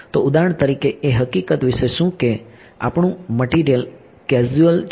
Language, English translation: Gujarati, So, for example, what about the fact that our material is causal